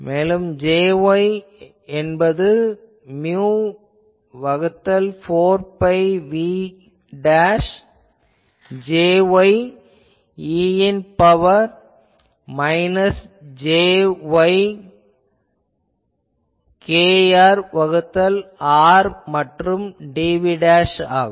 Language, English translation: Tamil, So, we saw that Az gives mu by 4 pi Jz e to the power minus jkr by r dv dashed ok